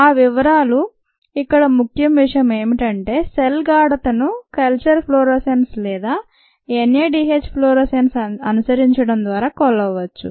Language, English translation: Telugu, the main points here is that the cell concentration can be measured by following the culture fluorescence or the NADH fluorescence